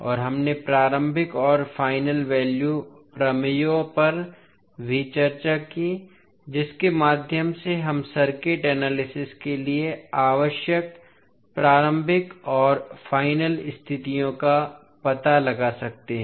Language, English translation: Hindi, And we also discussed the initial and final value theorems also through which we can find out the initial and final conditions required for circuit analysis